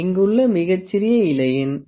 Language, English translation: Tamil, The smallest leaf here has the pitch 0